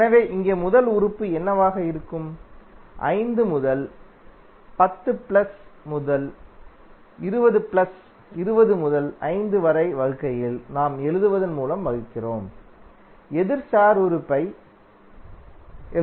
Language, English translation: Tamil, So here what would be the first element, 5 into 10 plus 10 into 20 plus 20 into 5 divided by what we write in the denominator, we write the opposite star element